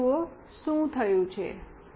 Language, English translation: Gujarati, Now, see what has happened